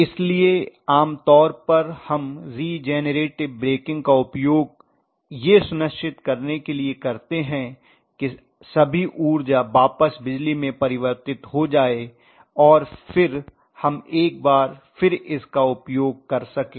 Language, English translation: Hindi, So generally we use regenerator breaking to make sure that all the energy is converted back in to electricity and then we utilise it once again that is what we do, wake him up